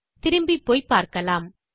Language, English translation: Tamil, Lets go back and check